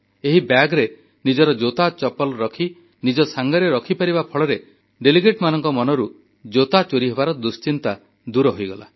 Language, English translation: Odia, They carried the bags with their shoes inside, free from any tension of the footwear getting stolen